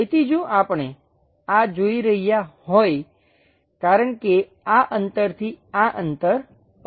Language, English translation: Gujarati, So, if we are seeing this because this distance to this distance is 50